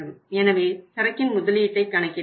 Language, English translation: Tamil, So investment in the inventory we will have to calculate